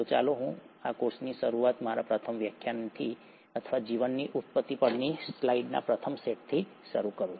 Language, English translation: Gujarati, So let me start this course with my first lecture or rather first set of slides on origin of life